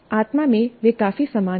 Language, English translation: Hindi, In spirit, they're quite similar